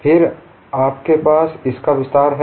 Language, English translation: Hindi, Then you have extension of this